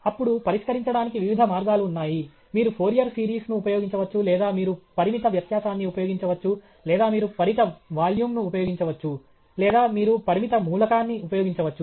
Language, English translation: Telugu, Then, there are various ways of solving: you can use a Fourier series or you can use finite difference or you can use finite volume or you can use finite element